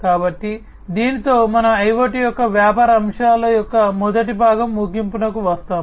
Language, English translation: Telugu, So, with this we come to an end of the first part of the business aspects of IoT